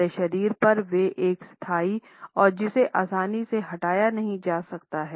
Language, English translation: Hindi, They are like a permanent decoration to our body which cannot be easily removed